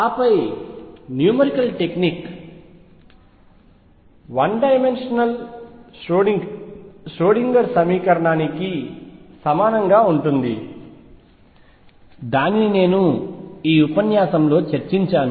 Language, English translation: Telugu, And then the technique the numerical technique therefore, is exactly the same as for the 1 dimensional Schrödinger equation that is what I have discussed in this lecture